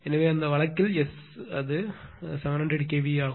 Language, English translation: Tamil, So, in that case S given 700 KVA, it is 700 KVA